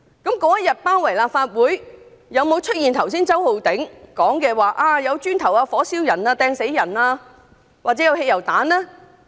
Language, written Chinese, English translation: Cantonese, 當天有沒有出現周浩鼎議員剛才所說，有人擲磚、火燒人、擲磚殺人或擲汽油彈呢？, Did incidents described by Mr Holden CHOW such as hurling bricks setting fire on others killing others by hurling bricks or hurling petrol bombs happened that day?